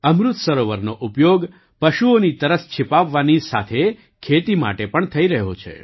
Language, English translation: Gujarati, Amrit Sarovars are being used for quenching the thirst of animals as well as for farming